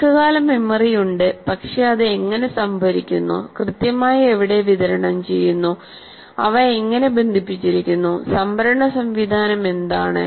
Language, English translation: Malayalam, The memory is put in the long term, there is a long term memory, but how it is stored, where exactly it is distributed, how they are connected, what is the storage mechanism